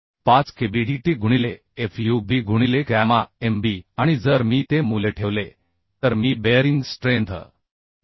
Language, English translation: Marathi, 5 Kb dt into fub by gamma mb and if I put those value I can find out bearing strength as 72